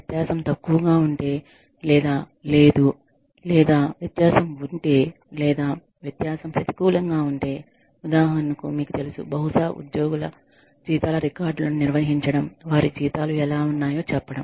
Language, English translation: Telugu, If the difference is minimal, or nil, or if the difference, or if the difference goes in negative, for example, you know, maybe, maintaining records of the, salaries of employees